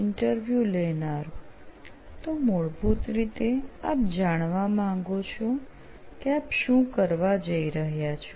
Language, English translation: Gujarati, So basically you want to know what you are going to do